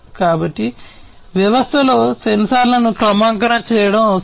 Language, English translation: Telugu, So, it is required to calibrate the sensors in a system